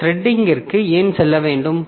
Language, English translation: Tamil, So, why should we go for this threading